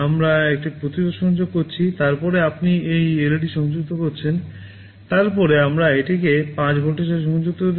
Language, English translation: Bengali, We are connecting a resistance, then you are connecting a LED, then we are connecting it to 5 volts